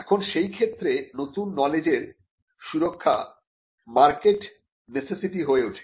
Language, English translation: Bengali, Now, the production of new knowledge in that case becomes a market necessity